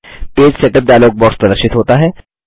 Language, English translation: Hindi, The Page setup dialog box is displayed